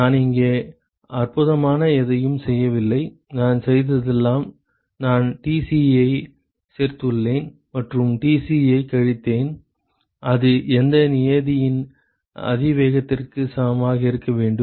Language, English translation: Tamil, I have not done anything spectacular here all I have done is I have just added Tci and subtracted Tci and that should be equal to the exponential of whatever term that present about that goes